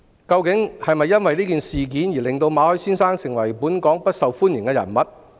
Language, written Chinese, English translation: Cantonese, 究竟是否因為這次事件令馬凱先生成為不受本港歡迎的人物？, After all has Mr MALLET become an unwelcome visitor to Hong Kong because of the incident?